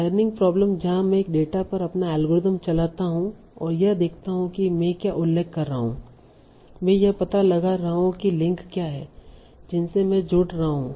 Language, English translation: Hindi, Learning problem where I run my algorithm on a data and see what are the good mentions I am detecting, what are the links I am connecting to